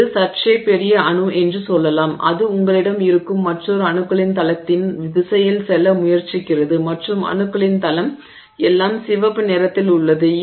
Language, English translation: Tamil, So, let's just say this is slightly bigger atom and it is trying to move in a direction where you have another plane of atoms and that plane of atoms is all, let's say it is all in red